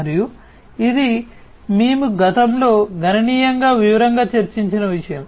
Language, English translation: Telugu, And this is something that we have already discussed in significant detailed in the past